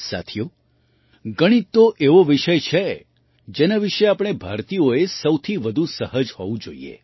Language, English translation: Gujarati, Friends, Mathematics is such a subject about which we Indians should be most comfortable